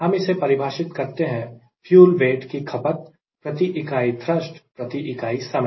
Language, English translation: Hindi, we define it as weight of fuel consumed per unit thrust, per unit time